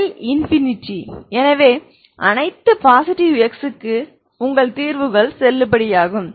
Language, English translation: Tamil, L is infinity so for all x positive your solutions are valid